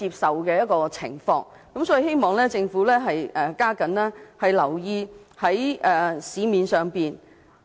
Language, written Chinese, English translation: Cantonese, 所以，我希望政府加緊留意市場上的中藥材。, Hence I hope the Government will pay more attention to the Chinese herbal medicines in the market